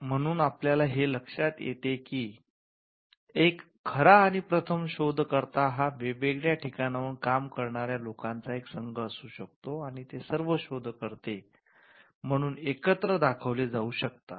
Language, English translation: Marathi, So, we are looking at a true and first inventor could be a team of people working from different locations and they are all shown together as the inventor